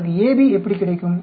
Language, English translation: Tamil, How do you get AB